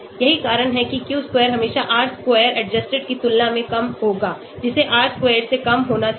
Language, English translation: Hindi, So that is why Q square will always be lesser than R square adjusted, which should be lesser than R square